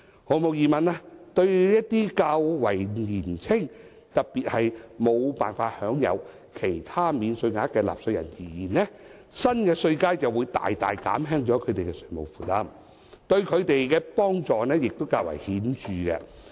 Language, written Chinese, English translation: Cantonese, 毫無疑問，對一些較為年輕，特別是無法享有其他免稅額的納稅人而言，新稅階會大大減輕他們的稅務負擔，對他們的幫助亦較為顯著。, Undoubtedly the new tax bands will significantly reduce the tax burden on some young taxpayers particularly those who are not entitled to other tax allowances and be of considerable help to them